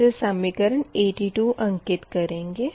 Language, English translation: Hindi, this is equation eighty two